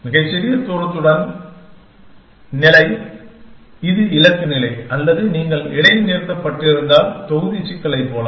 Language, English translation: Tamil, State with the smallest distance, which is the goal state or if you have pause it, like within the block problem